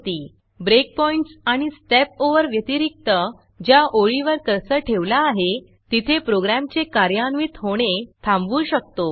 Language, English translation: Marathi, Apart from Breakpoints and StepOvers, you can also stop the execution of the program at the line of the cursor